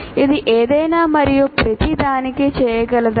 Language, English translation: Telugu, Can it be done for anything and everything